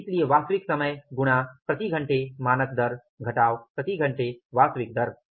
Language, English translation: Hindi, So actual time into standard rate per hour minus actual rate per hour